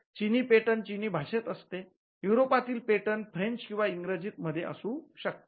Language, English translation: Marathi, So, for the Chinese patent in the Chinese language, European patents could be in French, it could be in English